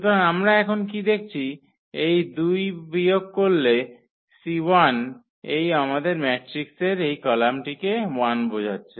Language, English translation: Bengali, So, what we observed now with this that minus this two times the C 1 denotes this column 1 of our matrix